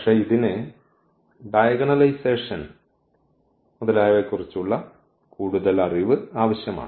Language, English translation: Malayalam, But, it is it requires little more knowledge of a diagonalization etcetera